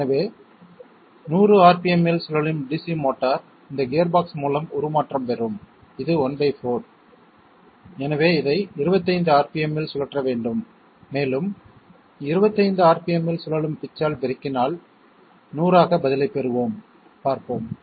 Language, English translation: Tamil, So DC motor rotating at 100 rpm will have a transformation through this gearbox, which is one fourth, so this must be rotated at 25 rpm and if it is rotating at 25 rpm multiplied by the pitch that will be 100 okay, let us see the answer